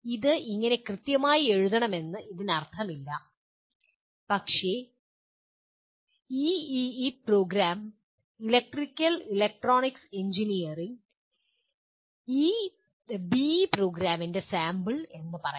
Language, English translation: Malayalam, It does not mean that it has to be exactly written like that but this is one sample of let us say EEE program, Electrical and Electronics Engineering B